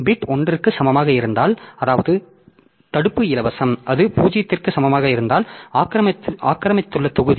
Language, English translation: Tamil, So, if the bit i is equal to 1, that means block I is free, if it is equal to 0 then the block i is occupied